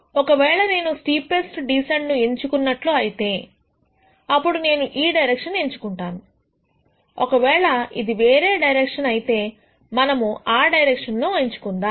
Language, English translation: Telugu, If I choose the steepest descent then I choose that direction, if it is some other direction we choose that direction